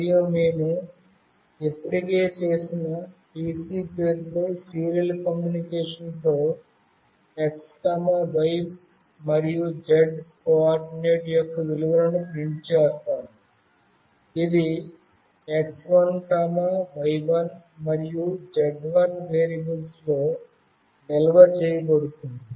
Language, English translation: Telugu, And with the serial communication with the name “pc” that we have already made, we will print the values of the x, y and z coordinate, which is stored in variables x1, y1 and z1